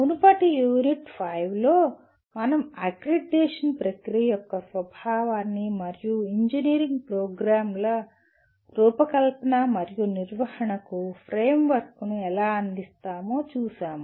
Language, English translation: Telugu, In the previous unit U5, we looked at the nature of the accreditation process and how it provides the framework for designing and conducting engineering programs